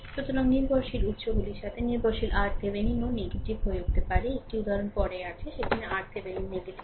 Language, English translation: Bengali, So, dependent with dependent sources, R Thevenin may become negative also; one example is there later right, there where R Thevenin is negative